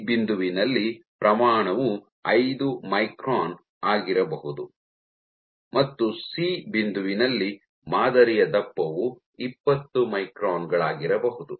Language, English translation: Kannada, At point B, order let us say 5 micron and at point C, the thickness of the sample might be 20 microns